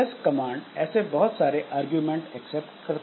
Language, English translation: Hindi, So, LS command accepts lots of arguments so which this